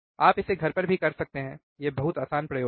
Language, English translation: Hindi, You can also do it at home, this is very easy experiment